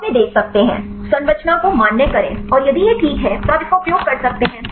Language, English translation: Hindi, Then they can see the; validate the structure and then if it is fine you can use it